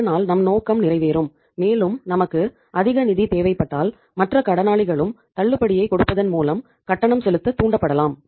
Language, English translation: Tamil, So that will serve the purpose and if we need more funds then the other debtors also can be induced by giving the discount